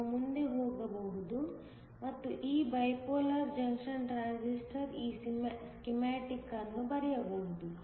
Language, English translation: Kannada, We can go ahead and draw this schematic for this bipolar junction transistor as well